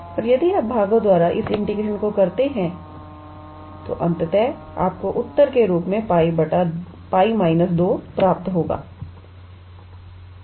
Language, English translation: Hindi, And after if you do this integration by parts, then ultimately you will obtain pi minus 2 as the answer